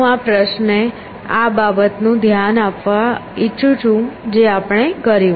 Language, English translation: Gujarati, I want to address this question this thing that we did